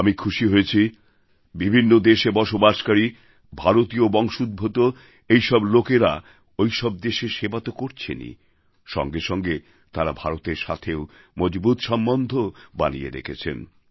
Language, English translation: Bengali, I am happy that the people of Indian origin who live in different countries continue to serve those countries and at the same time they have maintained their strong relationship with India as well